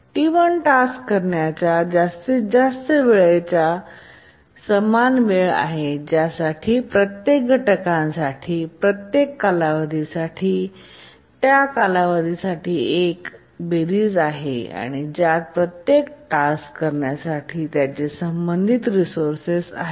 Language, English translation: Marathi, The maximum time the task T1 gets blocked is equal to the time for which each of these holds is the sum of the time for the duration for which each of the task holds their respective resource